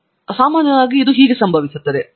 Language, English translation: Kannada, So, this is typically how it happens